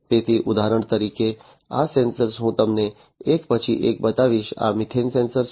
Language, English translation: Gujarati, So, for example, for instance, this sensor I will show you one by one, this is the methane sensor